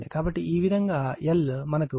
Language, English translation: Telugu, So, in this case, it will be 2